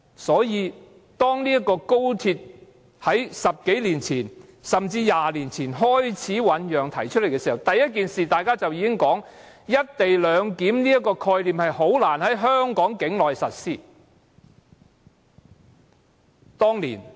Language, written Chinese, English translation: Cantonese, 所以，當高鐵在10多年前、甚至20多年前開始醞釀和提出時，大家提出的第一件事，便是"一地兩檢"這個概念難以在香港境內實施。, So when the Guangzhou - Shenzhen - Hong Kong Express Rail Link XRL was brewing and mooted more than a decade or even two decades or so ago the first point that we raised was that it would be difficult for the idea of co - location clearance to be implemented within the bounds of Hong Kong